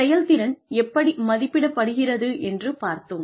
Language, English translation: Tamil, We have talked about, how performance appraisals are done